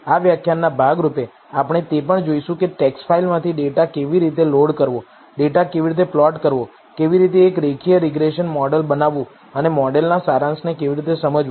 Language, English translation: Gujarati, As a part of this lecture, we are also going to look at how to load the data from a text le, how to plot the data, how to build a linear regression model and how to interpret the summary of the model